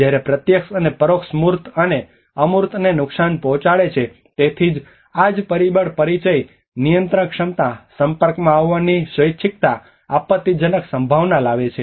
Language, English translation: Gujarati, Whereas the direct and indirect damages the tangible and as well as intangible damages so this is where again the perception brings about the familiarity, controllability, voluntariness of exposure, catastrophic potential